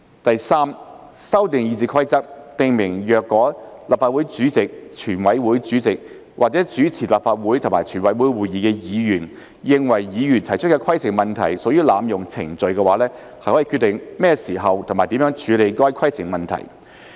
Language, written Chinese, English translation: Cantonese, 第三，修訂《議事規則》，訂明若立法會主席、全委會主席或主持立法會及全委會會議的議員認為議員提出規程問題屬濫用程序，可決定何時及如何處理該規程問題。, Thirdly RoP will be amended to specify that the President in Council the Chairman in CoWC or the Member presiding in Council and in CoWC may decide when and how to deal with a point of order if heshe is of the opinion that the raising of such a point of order is an abuse of procedure